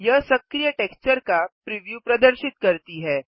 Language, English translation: Hindi, It shows the preview of the active texture